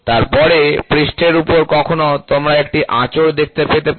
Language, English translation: Bengali, Then, on the surface sometimes you can have a scratch